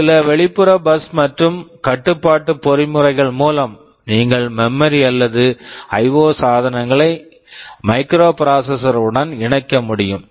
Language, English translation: Tamil, There are some external bus and control mechanism through which you can connect memory or IO devices with the microprocessor